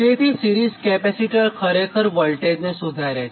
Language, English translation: Gujarati, so series capacitor, actually it improves the voltage